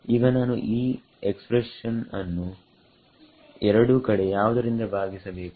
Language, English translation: Kannada, Now I can divide this expression on both sides by